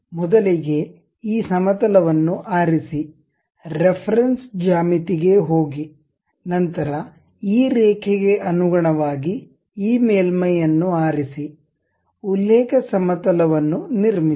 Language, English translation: Kannada, First select this plane, go to reference geometry; then with respect to this line, pick this surface, construct a reference plane